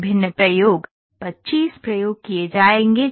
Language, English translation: Hindi, Experiments different experiments 25 experiments would be conducted